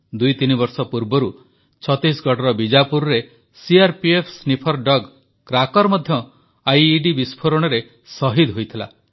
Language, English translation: Odia, Two or three years ago in Bijapur Chattisgarh, a sniffer dog Cracker of CRPF also attained martyrdom in an IED blast